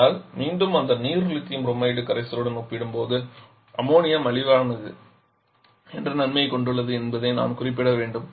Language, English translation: Tamil, But again, I should mention the moon is the advantage that is cheaper compare to that water Lithium Bromide solution